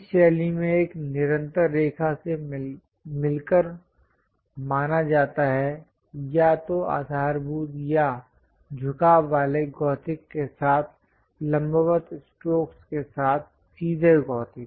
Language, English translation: Hindi, This style supposed to consist of a constant line, thickness either straight gothic with vertical strokes perpendicular to the base line or inclined gothic